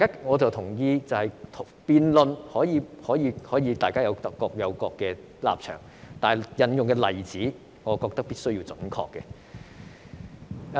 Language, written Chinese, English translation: Cantonese, 我同意辯論可以各自表達立場，但所引用的例子必須準確。, I agree that everyone is free to express his stance in the debate but the examples cited must be accurate